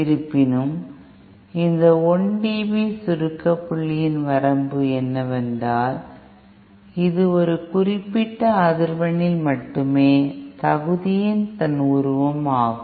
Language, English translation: Tamil, However, the limitation of this 1 dB compression point is that this is figure of merit at a particular frequency only